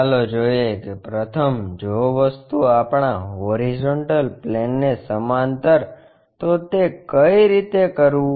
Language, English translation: Gujarati, Let us see how to do that first the object is parallel to our horizontal plane